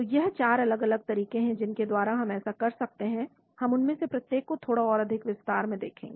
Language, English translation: Hindi, So there are 4 different approaches by which we can do this, we will look at each one of them a little bit in more detail